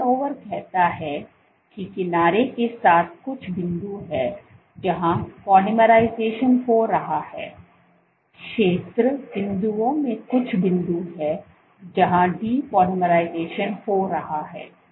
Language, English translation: Hindi, So, the turnover says that along the edge there are some points where polymerization is happening some points in the remaining points where depolymerization is happening